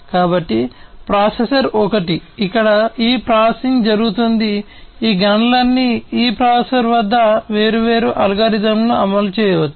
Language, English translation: Telugu, So, processor is the one, where all this processing are taking place all these computations different algorithms can be executed at this processor